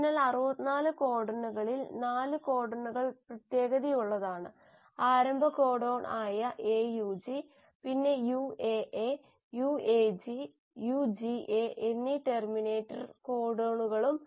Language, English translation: Malayalam, So out of the 64 codons 4 codons are special; the start codon which is AUG and the terminator codons which are UAA, UAG and UGA